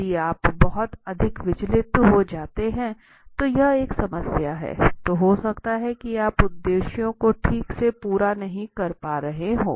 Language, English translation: Hindi, So if you get too much distracted then it is a problem, then you may be not get the objectives done properly